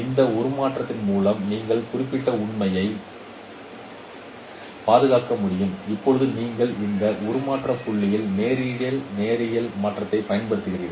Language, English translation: Tamil, With this transformation we can preserve this particular fact and now you apply the direct linear transformation on this transfer point